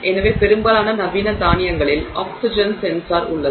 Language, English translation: Tamil, So, most modern automobiles have an oxygen sensor